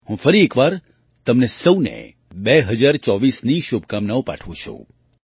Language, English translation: Gujarati, Best wishes to all of you for 2024